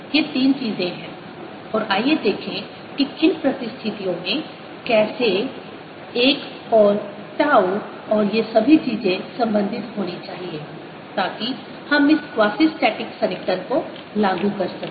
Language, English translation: Hindi, so these three things are there and let us see under what circumstances how should l and tau or all this thing should be related so that we can apply this quazi static approximation